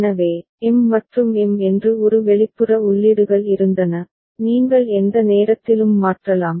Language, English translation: Tamil, So, there was an external inputs say M and M, you could change any time